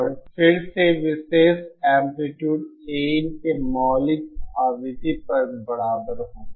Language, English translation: Hindi, And again at the fundamental frequency for particular amplitude A in will be equal to